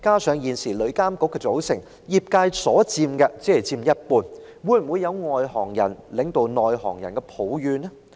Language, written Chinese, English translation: Cantonese, 此外，旅監局現時成員中，業界人士只佔一半，會否惹來外行人領導內行人的怨言呢？, Furthermore given that only half of the members of TIA are trade members will this give rise to the grievance of insiders being led by outsiders?